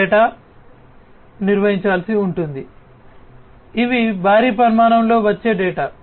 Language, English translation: Telugu, So, these kind of data will have to be handled; you know these are data which come in huge volumes